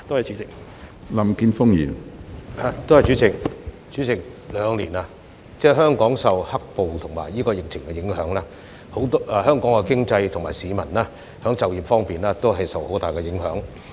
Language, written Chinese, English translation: Cantonese, 主席，兩年以來，香港受到"黑暴"和疫情影響，經濟和市民就業方面均受到很大影響。, President over the past two years Hong Kong has been affected by black - clad violence and the epidemic which have dealt a serious blow to our economy and peoples employment